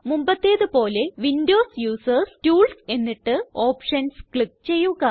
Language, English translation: Malayalam, As before, Windows users, please click on Tools and Options